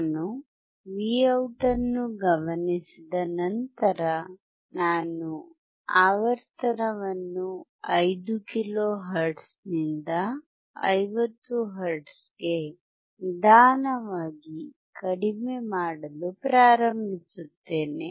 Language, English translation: Kannada, Once I observe the Vout, I will start decreasing the frequency slowly from 5 kilohertz to 50 hertz